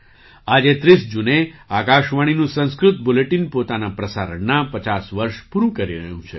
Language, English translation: Gujarati, Today, on the 30th of June, the Sanskrit Bulletin of Akashvani is completing 50 years of its broadcast